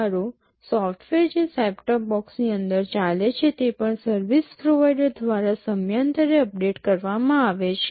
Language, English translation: Gujarati, Well the software that is running inside the set top box also gets periodically updated by the service provider